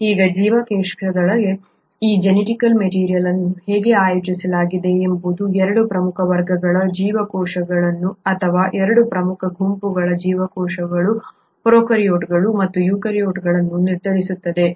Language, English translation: Kannada, Now how this genetic material is actually organised within a cell determines 2 major classes of cells or 2 major groups of cells, prokaryotes and eukaryotes